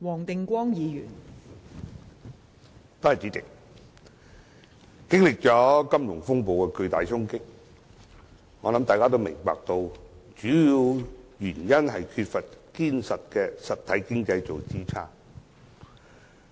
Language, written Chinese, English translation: Cantonese, 代理主席，經歷金融風暴的巨大衝擊後，相信大家也明白主要的原因就是缺乏堅實的實體經濟作支撐。, Deputy President having experienced the heavy blow dealt by the financial turmoil I believe we all understand that the major reason was the lack of support from a strong real economy